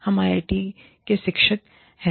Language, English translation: Hindi, We are teachers at IIT